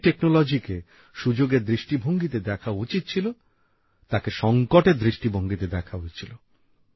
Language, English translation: Bengali, The technology that should have been seen as an opportunity was seen as a crisis